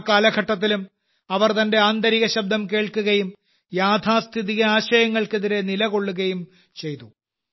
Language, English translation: Malayalam, Even during that period, she listened to her inner voice and stood against conservative notions